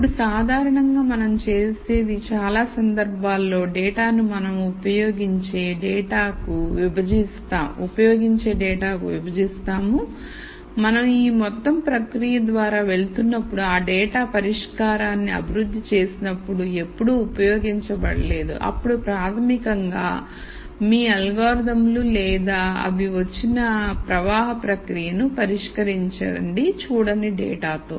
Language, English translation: Telugu, Here what we typically do is we partition the data in most cases to data that we use while we are going through this whole process and then data that has never been used when we were developing the solution and you basically test your algorithms or the flow process that they have come up with on data that has not been seen